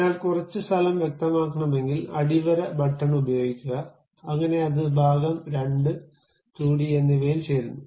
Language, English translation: Malayalam, So, if you want to really specify some space has to be given use underscore button, so that that joins both the part2 and 2d thing